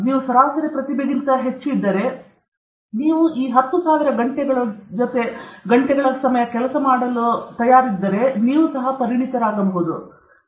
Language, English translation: Kannada, If you are having above average intelligence, then if you put in this 10,000 hours anybody can become an expert